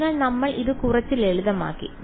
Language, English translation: Malayalam, So, we made it a little bit simpler